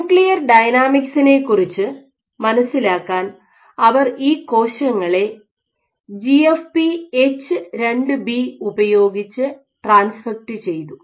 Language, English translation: Malayalam, So, when what they did why for understanding nuclear dynamics, what they did was they transfected these cells with GFP H2B